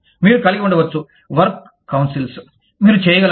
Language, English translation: Telugu, You could have, works councils, you could